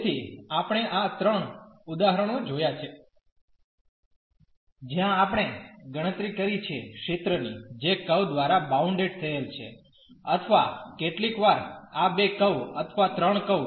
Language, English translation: Gujarati, So, we have seen these 3 examples, where we have computed the area bounded by the curves or sometimes these two curves or the 3 curves